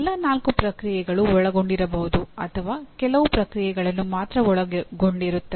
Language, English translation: Kannada, All the four processes may be involved or only some processes are involved